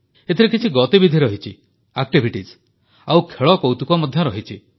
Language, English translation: Odia, In this, there are activities too and games as well